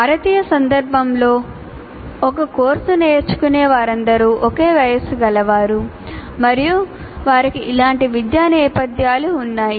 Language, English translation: Telugu, So in our Indian context, this is more or less, that is all learners of a course belong to the same age group and they have similar academic background